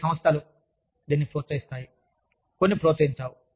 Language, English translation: Telugu, Some organizations promote it, some do not